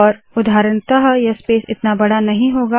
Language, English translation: Hindi, For example this space may not be large enough